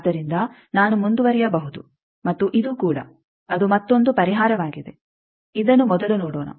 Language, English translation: Kannada, So, I can go on and this also; that will be another solution, let us first see that this one